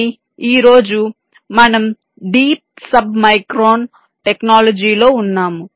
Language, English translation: Telugu, but today we are into deep sub micron technology